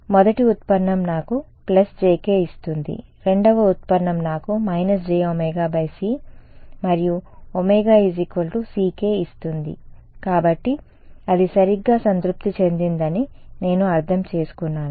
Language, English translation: Telugu, The first derivative gives me plus jk the second derivative gives me minus omega by c j omega by c and omega is equals to ck so, I get it is satisfied right